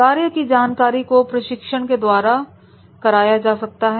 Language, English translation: Hindi, Job knowledge can be through the coaching